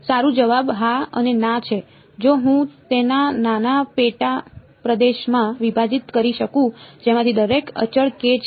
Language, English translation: Gujarati, Well answer is yes and no yes, if I can break it up into small sub regions each of which is constant k